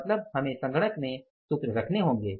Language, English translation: Hindi, Means we have to put the formulas in place in the computer